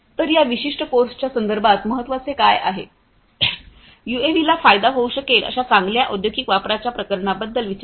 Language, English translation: Marathi, So, what is important is in the context of this particular course, think about good industrial use cases where UAVs can be of benefit